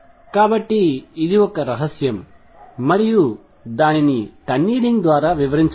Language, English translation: Telugu, So, this was a mystery and the way it was explain was through tunneling